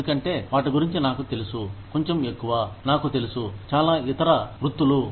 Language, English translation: Telugu, Because, I know about them, a little bit more than, I know about, a lot of other professions